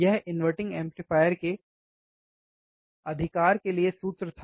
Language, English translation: Hindi, This is this was the formula for inverting amplifier right